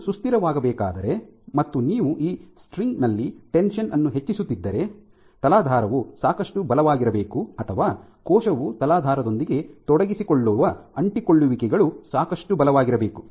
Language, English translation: Kannada, So, if this system is to be sustainable and if you are increasing the tension in this string then the substrate has to be strong enough or the adhesions which the cell engages with the substrate has to be strong enough